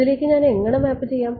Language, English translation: Malayalam, How do I map this to that